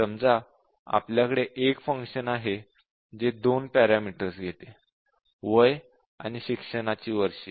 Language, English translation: Marathi, Let say, we have a function that takes two parameters age and years of education